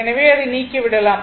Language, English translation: Tamil, So, let me delete it